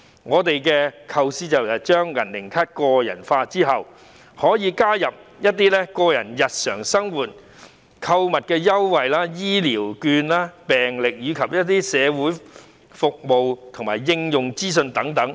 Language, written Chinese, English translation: Cantonese, 我們的構思是透過"銀齡卡"，加入長者個人日常生活購物優惠、醫療券、病歷，以及社會服務及應用資訊等。, Our design is that the silver age card will include shopping discounts for daily necessities health care vouchers medical records social services and useful information